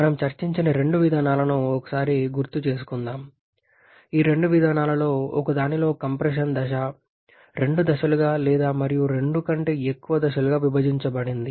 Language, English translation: Telugu, So, just to have a quick recap of that these are the two schemes that have discussed in one of them the compression stage is divided into two stages or more than two stages